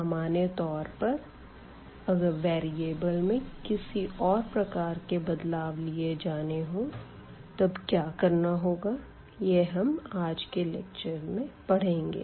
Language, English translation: Hindi, But in general, if we have any other type of change of variables then what how to deal with this factor and we will see now in today’s lecture